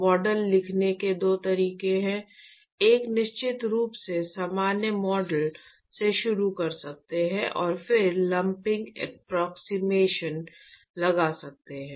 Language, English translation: Hindi, There are two ways to write the model: one is certainly you could start from general model and then impose lumping approximation